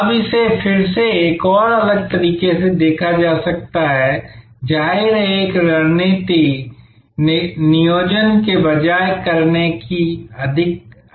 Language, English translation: Hindi, Now, this is again can be looked at from another different way that; obviously, a strategy is more of doing rather than planning